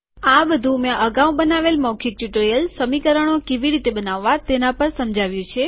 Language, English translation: Gujarati, These are explained on the spoken tutorial that I have created earlier on creating equations